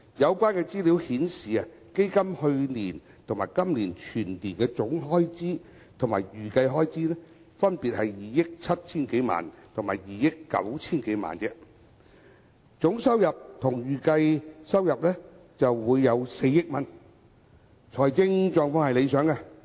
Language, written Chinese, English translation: Cantonese, 有關資料顯示，基金去年及今年全年總開支及預計開支，分別是2億 7,000 多萬元和2億 9,000 萬元而已；而總收入和預計收入均為4億元，財政狀況理想。, According to the relevant information the total annual expenditure and estimated expenditure of the Fund last year and this year are more than 270 million and 290 million respectively and the total income and estimated income are 400 million so the financial situation is satisfactory